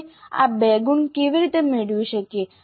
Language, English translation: Gujarati, Now how do we get these two marks